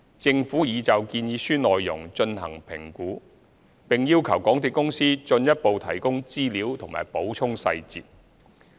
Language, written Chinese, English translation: Cantonese, 政府已就建議書內容進行評估，並要求港鐵公司進一步提供資料和補充細節。, The Government has evaluated the proposals and requested further information and supplementary details from MTRCL